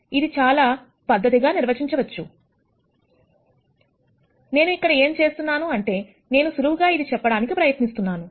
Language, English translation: Telugu, This can also be very formally defined, what I am going to do is, I am going to try and explain this in a very simple fashion